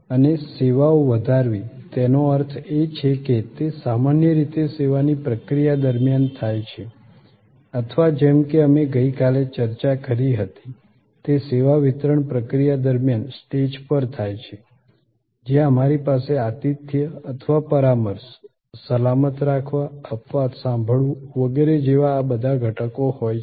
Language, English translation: Gujarati, And enhancing services; that means it happens usually during the process of service or as we discussed yesterday, it happens on stage during the service delivery process, where we have all these elements like hospitality or consultation, safe keeping, exception handling and so on